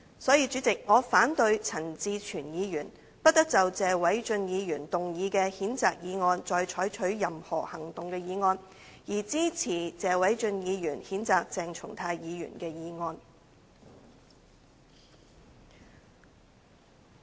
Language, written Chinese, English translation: Cantonese, 所以，代理主席，我反對陳志全議員"不得就謝偉俊議員動議的譴責議案再採取任何行動"的議案，而支持謝偉俊議員譴責鄭松泰議員的議案。, Therefore Deputy President I oppose Mr CHAN Chi - chuens motion that no further action shall be taken on the censure motion moved by Mr Paul TSE but support the motion proposed by Mr Paul TSE to censure Dr CHENG Chung - tai